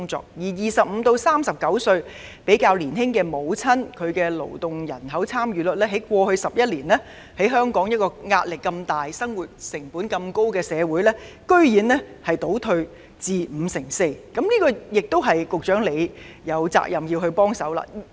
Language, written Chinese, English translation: Cantonese, 至於25至39歲較年輕母親的勞動參與率，在過去11年，於香港壓力如此大、生活成本這麼高的社會，居然倒退至 54%， 這是局長有責任正視的。, As regards the work participation of younger mothers aged 25 to 39 it has paradoxically receded to 54 % over the past 11 years during which both the pressure as well as the cost of living were so high here in Hong Kong . This is something the Secretary is duty - bound to face up to